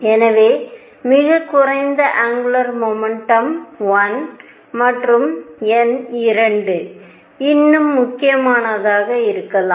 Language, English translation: Tamil, So, lowest angular momentum could be 1 and number 2 more important